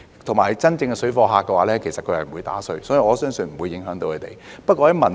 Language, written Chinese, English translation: Cantonese, 再者，真正的水貨客是不會"打稅"的，所以我相信不會影響他們。, Moreover as genuine parallel traders are not willing to pay duty I do not think a higher duty - free ceiling will have any impact on their mode of operation